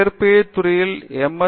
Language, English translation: Tamil, Yeah, from physics